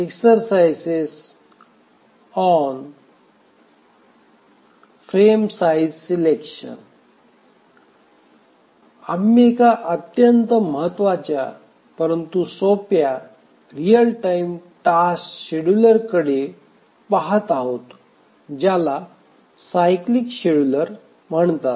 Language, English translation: Marathi, So, so far we have been looking at the one of the very important but simple real time task scheduler known as the cyclic scheduler